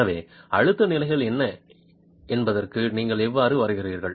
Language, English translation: Tamil, So, how do you arrive at what the stress levels are